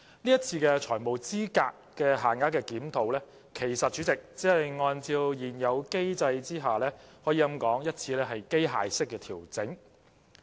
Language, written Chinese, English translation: Cantonese, 這次的財務資格限額檢討，其實只是按照現有機制的一次機械式調整。, In fact the review on the FELs this time around is only a mechanical adjustment of the existing mechanism